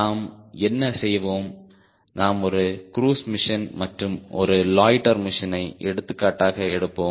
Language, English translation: Tamil, we will take simple example of a cruise mission and a loiter mission